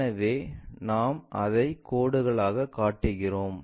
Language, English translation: Tamil, So, we show it by dashed lines